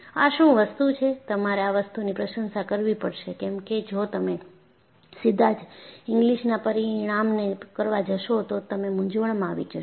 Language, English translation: Gujarati, This is what; you have to appreciate because if you directly extend Inglis result, you would get confused